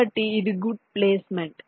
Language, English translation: Telugu, so this is a good placements